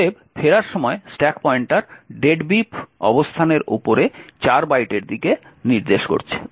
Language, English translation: Bengali, Therefore, at the time of return the stack pointer is pointing to 4 bytes above the deadbeef location